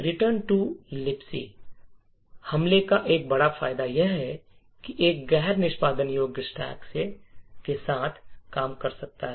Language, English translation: Hindi, One major advantage of the return to LibC attack is that it can work with a non executable stack